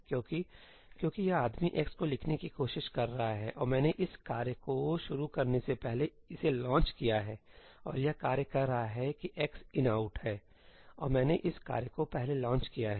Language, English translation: Hindi, Why because this guy is trying to write to x and I have launched this task before launching this task; and this task is saying that x is ëinoutí and I have launched this task before